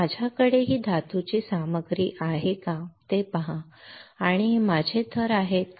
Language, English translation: Marathi, See if I have this metal material and these are my substrates right